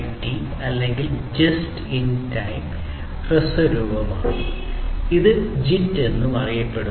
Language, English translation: Malayalam, JIT or just in time, this is the short form, it is also known as popularly known as JIT